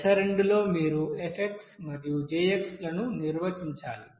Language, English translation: Telugu, Then, step 2 you have to define F and J